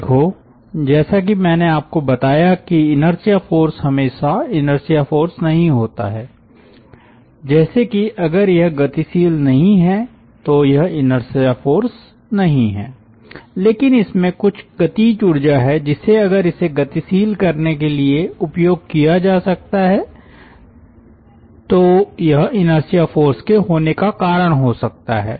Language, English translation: Hindi, as i told you that it is not exactly always the inertia force as such, if it is not accelerating it is not inertia force but it is having some kinetic energy which if could have been utilized to accelerate it, it could have been ah, it could have given rise to some inertia force